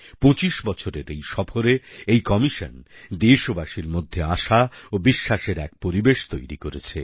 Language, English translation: Bengali, In its journey of 25 years, it has created an atmosphere of hope and confidence in the countrymen